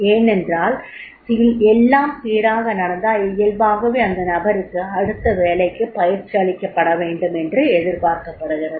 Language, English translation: Tamil, Because if everything goes smooth then naturally it is expected that the person is to be trained for the next job